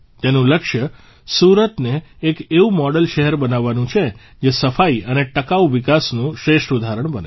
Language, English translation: Gujarati, Its aim is to make Surat a model city which becomes an excellent example of cleanliness and sustainable development